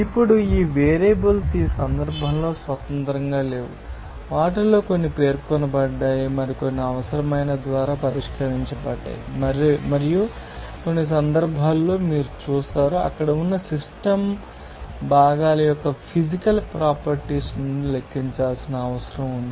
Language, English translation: Telugu, Now, these variables are not all independent in this case, some of them are specified, others are fixed by the necessary and in some cases you will see that, it may be required to calculate from physical properties of the system components there